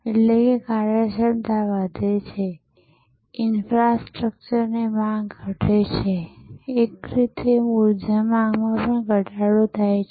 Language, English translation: Gujarati, Increases efficiency, decreases demand on infrastructure, in a way also decreases demand on for energy, space and so on